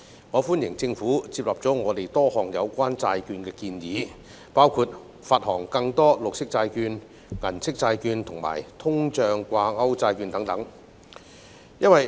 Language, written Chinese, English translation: Cantonese, 我歡迎政府接納了我們就債券提出的多項建議，包括發行更多綠色債券、銀色債券及通脹掛鈎債券等。, I welcome the Governments acceptance of our proposals related to bonds including issuing more green bonds silver bonds and inflation - linked bonds